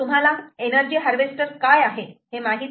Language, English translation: Marathi, what is an energy harvester